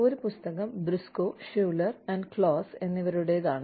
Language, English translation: Malayalam, One by Briscoe, Schuler, and Claus